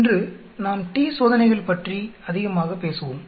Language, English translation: Tamil, Today we will talk more about t Test